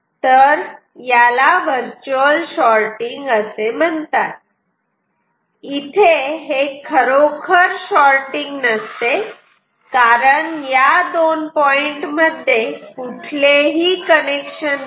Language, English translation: Marathi, So, this is called virtual sorting, this is not actual sorting because there is no connection between these two points ok